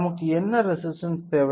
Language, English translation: Tamil, So, what resistance we require